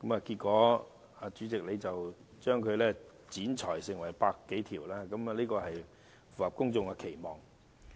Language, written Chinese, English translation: Cantonese, 結果，主席把這些修正案剪裁成100多項，這亦符合公眾期望。, But the President has trimmed these amendments into some 100 in number . This aligns with public expectation